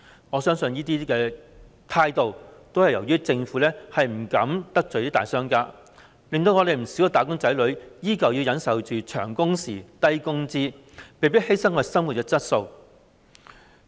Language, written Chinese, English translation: Cantonese, 我相信這種情況是由於政府不敢得罪大商家，因而令不少"打工仔女"依舊要忍受長工時、低工資，被迫犧牲生活質素。, I believe that this is because the Government dare not offend big businesses . As a result many wage earners have to endure long working hours and low wages thereby sacrificing their quality of life